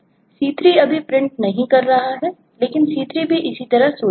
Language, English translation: Hindi, c3, for now, is not printing, but c3 also thinks the same way